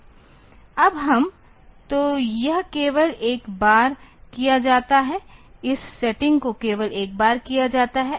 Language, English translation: Hindi, Now, we are; so this is done only once up to this setting is done only once